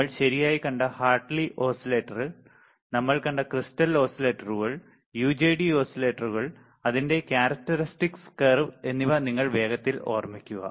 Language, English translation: Malayalam, If you recall quickly Hartley oscillator this we have seen right, crystal oscillators we have seen, then we have seen UJT oscillators, and its characteristic curve right